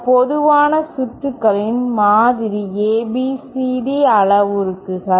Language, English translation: Tamil, Sample ABCD parameters of some common circuits